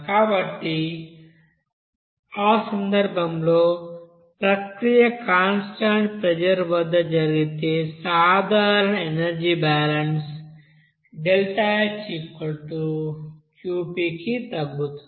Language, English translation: Telugu, So in that case, if the process takes place at constant pressure, the general energy balance will be reducing to you know deltaH will be is equal to Qp